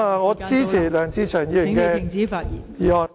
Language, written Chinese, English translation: Cantonese, 我支持梁志祥議員的修正案。, I support Mr LEUNG Che - cheungs amendment